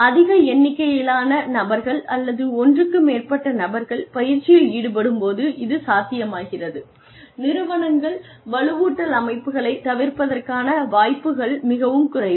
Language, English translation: Tamil, When large number of people, or more than one person, is involved, in undergoing training, then it becomes ; the organizations are less prone to avoiding reinforcement systems